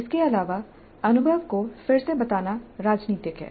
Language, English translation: Hindi, Further, the retelling of the experience is political